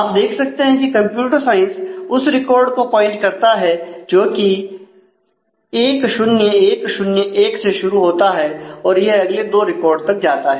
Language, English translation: Hindi, So, you can see that your computer science points to the record starting with 1 0 1 0 1 and then the; it goes on to the next two records